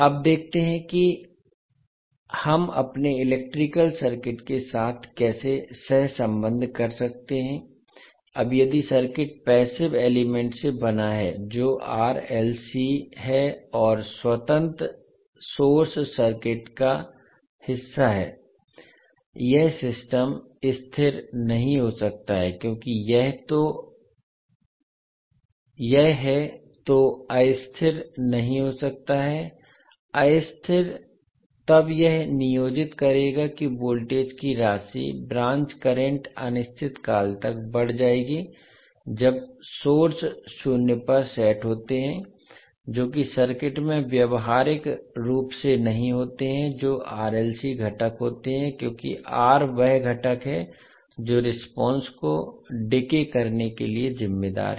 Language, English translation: Hindi, Now let us see how we can co relate with the our electrical circuits now if the circuit is made up of passive elements that is r, l and c and independent sources are part of the circuit this system cannot be stable, cannot be unstable because this if it is unstable then it would employ that sum branch current of voltage would grown indefinitely when sources are set to zero which does not happen practically in the circuits which are having r l and c components because r is the component which is responsible to decay the response